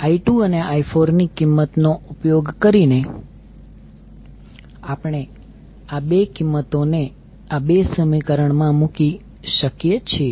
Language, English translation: Gujarati, So using I 2 value and the value of I 4, we can put these 2 values in these 2 equations and simplify